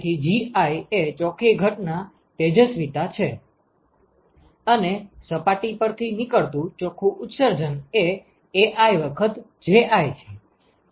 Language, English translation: Gujarati, So, Gi is the net incident irradiation, and if the net emission that comes from the surfaces is Ai times Ji